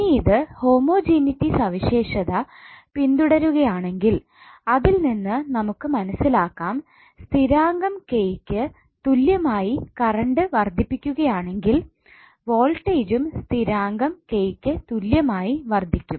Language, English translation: Malayalam, Now if it is following the homogeneity property it means that if current is increased by constant K, then voltage also be increased by constant K